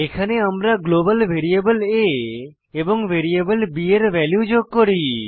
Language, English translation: Bengali, Here we add the values of global variable a and variable b